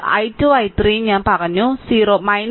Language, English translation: Malayalam, So, i 1 will be 0